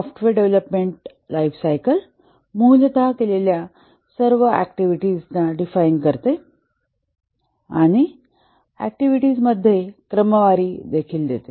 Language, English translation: Marathi, The software development lifecycle essentially defines all the activities that are carried out and also the ordering among those activities